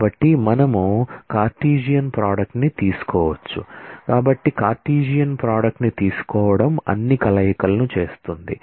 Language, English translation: Telugu, So, taking Cartesian product is making all possible combinations